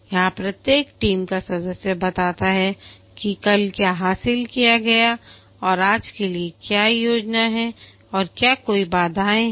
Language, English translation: Hindi, Here each team member informs what was achieved yesterday and what is the plan for today and are there any obstacles